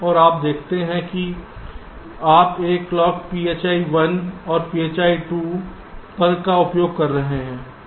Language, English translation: Hindi, and you see you are using a clock, phi one and phi two